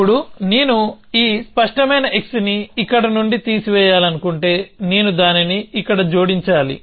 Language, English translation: Telugu, Now, if I want to remove this clear x from here, then I should add it here